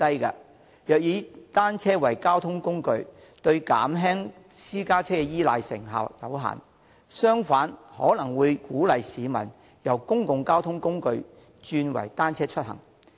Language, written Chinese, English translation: Cantonese, 如果以單車作為交通工具，對減輕私家車依賴的成效有限，更可能會鼓勵市民由使用公共交通工具轉為單車出行。, Its per capita car ownership is the lowest among developed regions . Using bicycles as a mode of transport will have limited effects on abating the reliance on private cars . It may even encourage members of the public to switch from using public transport to commuting by bicycles